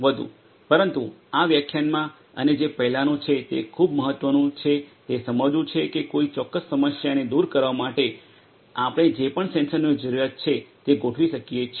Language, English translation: Gujarati, But what is very important in this lecture and the previous one is to understand that we can deploy whatever sensors are required for addressing a particular problem